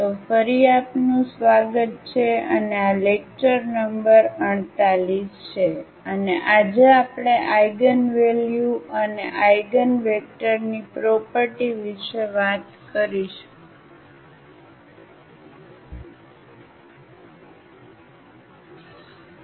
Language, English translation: Gujarati, ) So, welcome back and this is lecture number 48 and today we will talk about the properties of Eigenvalues and Eigenvectors